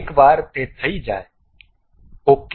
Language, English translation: Gujarati, Once it is done, ok